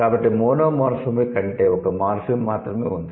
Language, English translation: Telugu, So, monomorphic means there is only one morphem